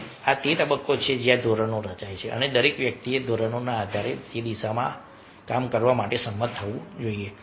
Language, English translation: Gujarati, so this is the stage where norms are formed and everybody will should be agree, agreeable to work in this direction